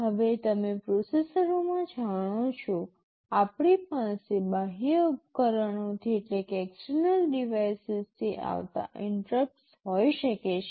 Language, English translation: Gujarati, Now you know in processors, we can have interrupts coming from external devices